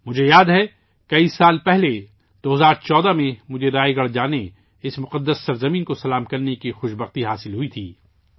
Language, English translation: Urdu, I remember, many years ago in 2014, I had the good fortune to go to Raigad and pay obeisance to that holy land